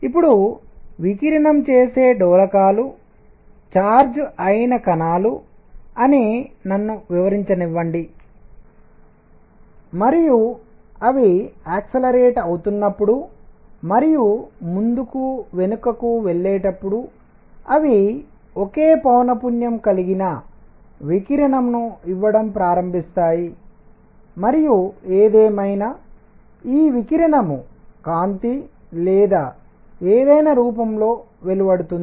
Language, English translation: Telugu, Now, let me explain that oscillators that radiate are charged particles and as they accelerate and go back and forth, they start giving out radiation of the same frequency and radiation of course, as light or whatever